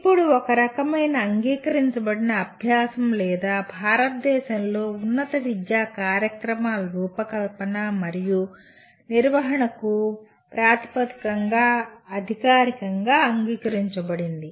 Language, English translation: Telugu, Now it is a kind of a accepted practice or at least officially accepted as the basis for designing and conducting higher education programs in India